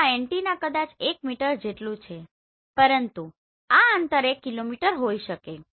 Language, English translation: Gujarati, So this antenna maybe 1 meter, but this distance could be 1 kilometer